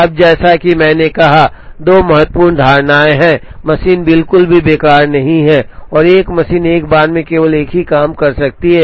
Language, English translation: Hindi, Now, as I said there are two important assumptions one is the machine is not idle at all and a machine can process only one job at a time